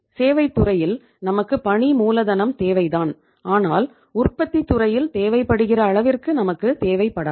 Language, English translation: Tamil, In the services sector we require working capital but not that much as we require in the manufacturing sector